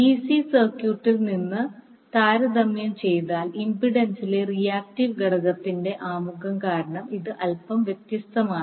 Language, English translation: Malayalam, So, if you compare from the DC circuit this is slightly different because of the introduction of reactive component in the impedance